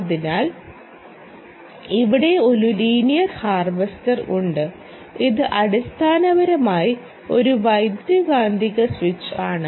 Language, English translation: Malayalam, linear harvester which is basically an electromagnetic switch